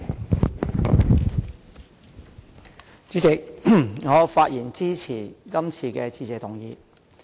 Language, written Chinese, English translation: Cantonese, 代理主席，我發言支持今天的致謝議案。, Deputy President I speak in support of the Motion of Thanks today